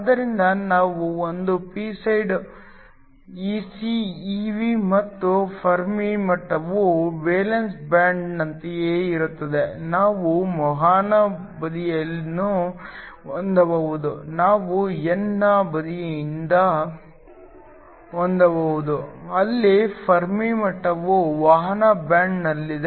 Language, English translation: Kannada, So, we can have a p side is Ec Ev and the Fermi level lies within the valence band similarly, can have a conduction side we can have the n side where the Fermi level lies within the conduction band